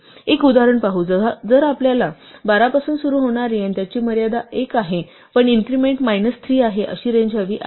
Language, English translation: Marathi, Just to see an example, suppose we want to have a range which starts from 12 and whose limit is 1, but the increment is minus 3